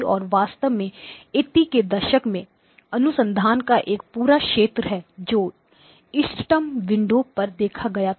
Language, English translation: Hindi, And there is actually a complete area of research in the 80s which looked at optimal windows